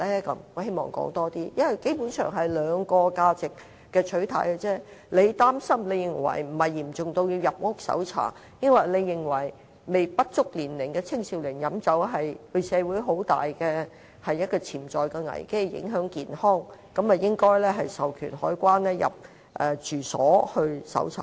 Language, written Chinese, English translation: Cantonese, 因為基本上只是兩個價值的取態，有人認為並非嚴重至要入屋搜查；也有人認為讓未成年的青少年飲酒會對社會造成很大的潛在危機，也會影響健康，應授權海關人員入住所進行搜查。, It is about the value and inclination of two things . Some people consider the problem not severe enough to warrant a house search while some consider there is a significant and potential crisis to allow drinking among minors and that will also affect their health thus customs staff should be authorized to search any domestic premises